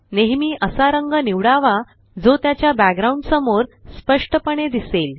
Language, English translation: Marathi, Always choose a color that is visible distinctly against its background